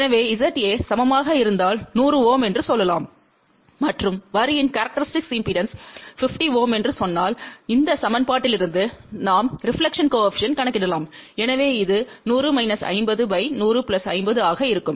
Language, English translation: Tamil, So, if Z A is equal to let us say 100 Ohm and if we say that the characteristic impedance of the line is 50 Ohm, then from this equation we can calculate the reflection coefficient , so which will be 100 minus 50 divided by 100 plus 50